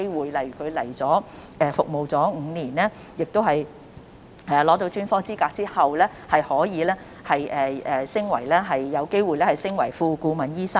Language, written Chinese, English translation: Cantonese, 舉例而言，他們來港服務5年加上取得專科資格後，可以有機會晉升為副顧問醫生。, For instance after five years of service in Hong Kong and the acquisition of specialist qualification they will have the chance to be promoted to the rank of Associate Consultant